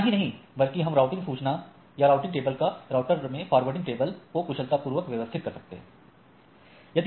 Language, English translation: Hindi, Not only that our I can manage the routing information or the routing table or the forwarding table in the router in a much efficient way right